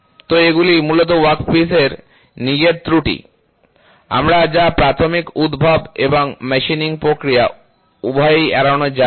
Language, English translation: Bengali, So, these are basically defects in the workpiece itself, we which cannot be avoided both by the process of initial generation and machining